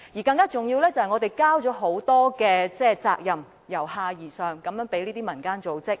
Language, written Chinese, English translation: Cantonese, 更重要的是，我們已將很多由下而上的責任交託給民間組織。, More importantly we have entrusted community organizations with many bottom - up responsibilities